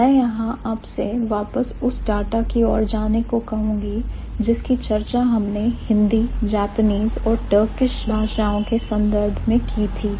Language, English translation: Hindi, I would ask you to go back to the data that we had for Hindi, Japanese and Turkish